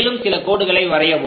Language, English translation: Tamil, Draw few more lines